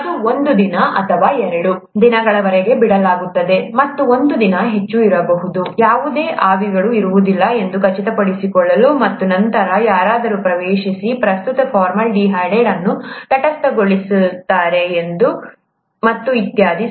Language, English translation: Kannada, It is left there for a day or two, and may be a day more, just to make sure that none of the vapours are present, and then somebody gets in and neutralizes the present formaldehyde and so on so forth